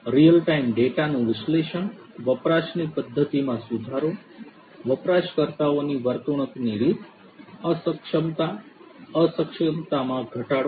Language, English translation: Gujarati, Analyzing real time data, improving the usage pattern, behavioral pattern of users, inefficiency, reduction of inefficiency